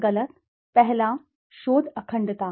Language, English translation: Hindi, Right and wrong, first, research integrity